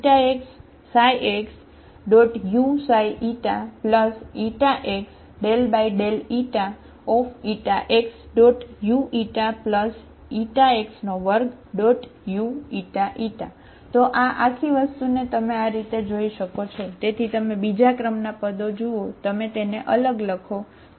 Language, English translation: Gujarati, So this whole thing you can see this one, so you look at the second order terms, you write separately, okay